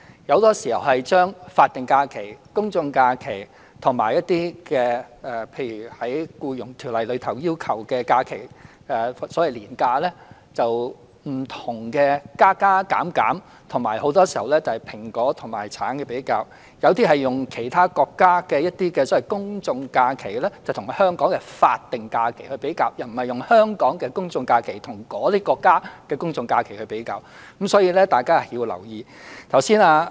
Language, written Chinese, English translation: Cantonese, 很多時候，他們把法定假日、公眾假期和一些《僱傭條例》要求的假期作不同的加加減減，以及很多時候作出"蘋果"和"橙"的比較；有些議員則用其他國家的公眾假期與香港的法定假日比較，而不是用香港的公眾假期與那些國家的公眾假期比較，所以大家要留意。, Some Members very often make various additions or subtractions to the number of statutory holidays general holidays and leave days under the Employment Ordinance and draw comparisons between an apple and an orange; and some Members compare general holidays in other countries with statutory holidays instead of general holidays in Hong Kong . Thus I hope Members will pay attention to these points